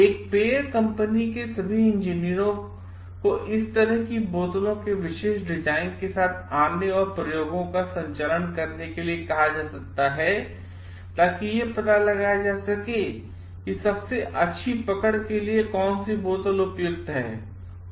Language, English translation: Hindi, Like all engineers of a like beverage company might be asked to come up with the special design of bottles and conduct experiments to find out like which is the one for the best grip